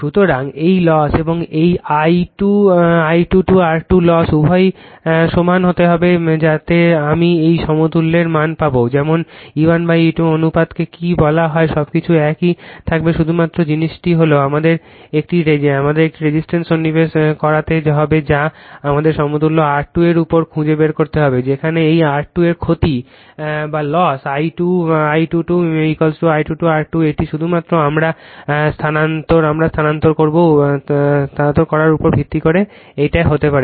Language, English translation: Bengali, So, these loss and this I 2 square R 2 loss both has to be your equal both has to be equal such that I will get the value of equivalent up to that, such that your what you call thatyour E 1 by E 2 ratio everything will remain same only thing is that, we have to insert one resistance we have to find on equivalent is R 2 dash, right whereas the loss of this one R 2 dash into I 2 dash square is equal to I 2 square R 2 this has to be same based on that only we transfer, right